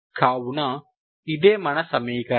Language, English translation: Telugu, So this is the equation